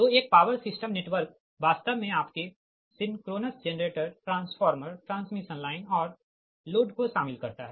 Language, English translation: Hindi, so a power system network actually comprises your synchronous generators, a transformers, transmission lines and loads